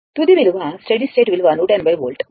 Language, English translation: Telugu, The final value steady state value is 180 volt right